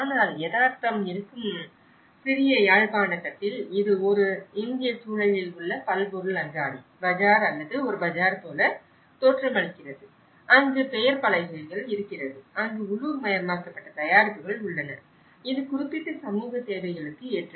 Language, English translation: Tamil, But the little Jaffna where the reality is this, it is looking like any other supermarket, bazaar or a bazaar in an Indian context where you have the hoardings, where you have the localized products, which is suitable for that particular community needs